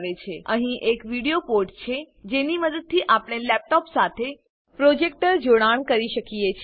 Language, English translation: Gujarati, There is a video port, using which one can connect a projector to the laptop